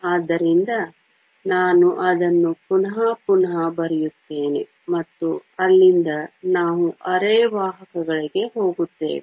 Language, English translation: Kannada, So, let me just redraw that again and from there, we will move onto semiconductors